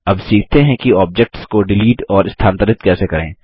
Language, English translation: Hindi, Now let us learn how to move and delete objects